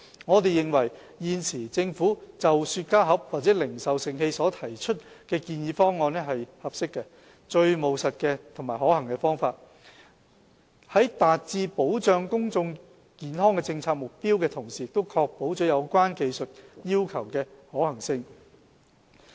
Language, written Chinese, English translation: Cantonese, 我們認為，現時政府就雪茄盒或零售盛器所提出的建議方案是合適、最務實及可行的方法，能達致保障公眾健康的政策目標，同時亦確保有關技術要求的可行性。, We consider the Governments current proposal in relation to cigar boxes or retail containers is an appropriate most practical and feasible approach which can achieve the policy objective of protecting public health while ensuring the feasibility of the relevant technical requirements